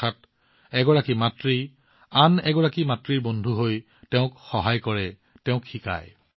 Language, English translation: Assamese, That is, one mother becomes a friend of another mother, helps her, and teaches her